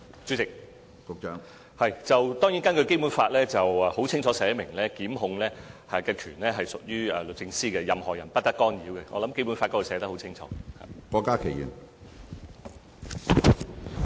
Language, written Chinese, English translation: Cantonese, 主席，當然，《基本法》清楚列明檢控權屬律政司，任何人不得干預，這在《基本法》寫得很清楚。, President the Basic Law stipulates expressly that the Department of Justice shall control criminal prosecutions free from any interference . This is clearly written in the Basic Law